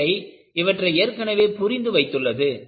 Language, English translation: Tamil, Nature has already understood this